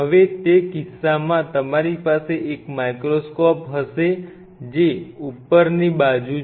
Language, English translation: Gujarati, Now in that case you will have to have a microscope which is upright